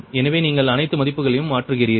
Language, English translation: Tamil, so you substitute all the values, right